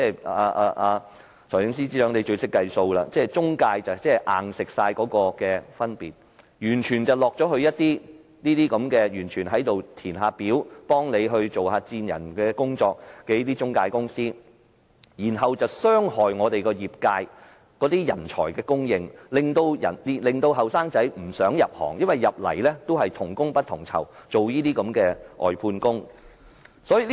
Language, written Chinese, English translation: Cantonese, 財政司司長最懂得計數，讓中介公司"硬食"了 IT 員工的薪金，錢完全落入那些負責填表、幫政府做薦人的中介公司，卻傷害了業界的人才供應，令年輕人不想入行，因為入行等於做同工不同酬的外判工。, The Financial Secretary knows best in saving money . By allowing intermediaries to take a portion of the salary from the IT personnel the Government is actually allowing intermediaries responsible for application - filing and headhunting to reap all the profits thus hurting the supply of talents for the industry and discouraging young people from joining this profession because they will become outsourced contract staff who are paid differently for the same work